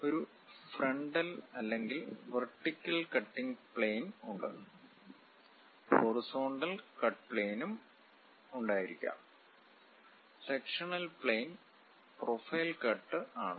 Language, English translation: Malayalam, There are frontal or vertical cutting plane; one can have horizontal cut plane also, sectional planes are profile cut one can have